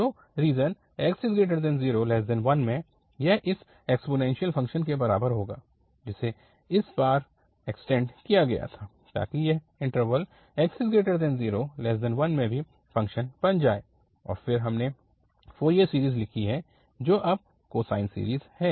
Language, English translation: Hindi, So, in the region 0 to 1 this will be equal to this exponential function which was extended now this time, so that it has become the even function in the interval 0 to 1 and then we have written the Fourier series which is now the cosine series